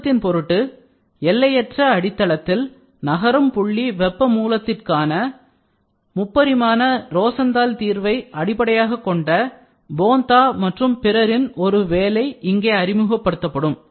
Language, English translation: Tamil, For brevity’s sake a later work of Bontha et al based upon the 3D Rosenthal solution for a moving point heat source on an infinite substrate will be introduced here, so this is what is the Rosenthal effect